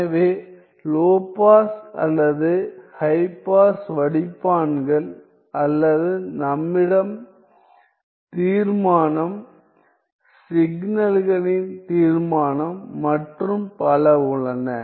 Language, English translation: Tamil, So, low pass or high pass filters or we have resolution, resolution of signals and so on